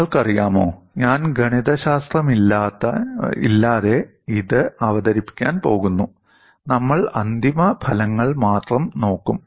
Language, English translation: Malayalam, You know, I am going to present this without much of mathematics we will only look at the final results